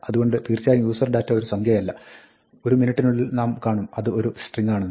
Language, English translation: Malayalam, So, userdata is indeed not a number, now, it is a string as we will see in a minute